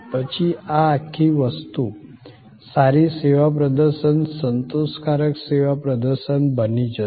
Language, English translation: Gujarati, Then, this whole thing will become a good service performance, a satisfactory service performance